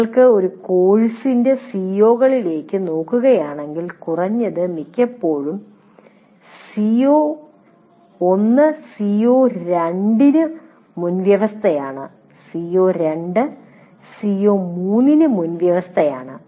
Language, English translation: Malayalam, Generally, if you look at the COs of a course, at least most of the times, the CO1 is a prerequisite to CO2